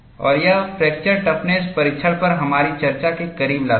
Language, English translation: Hindi, And this brings to a close of our discussion on fracture toughness testing